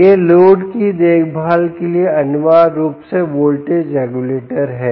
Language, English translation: Hindi, this is back the voltage regulator, essentially for taking care of the load